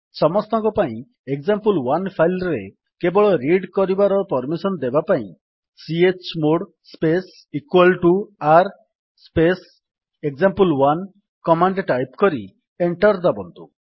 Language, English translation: Odia, To assign read only permission to file example1 for everyone, type the command: $ chmod space =r space example1 and press Enter